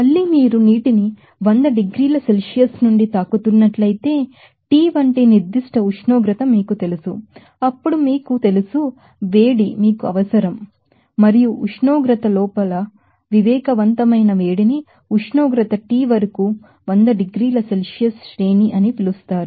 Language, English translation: Telugu, Again, if you are hitting these from hundred degrees Celsius to you know certain temperature like T then there will be again that certain you know, heat, you know requirement and that heat requirement is called that sensible heat within temperature is a range of hundred degree Celsius to temperature T